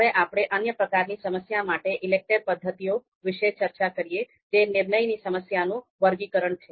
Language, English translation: Gujarati, Now let us talk about ELECTRE methods for another type of problems that is sorting decision problems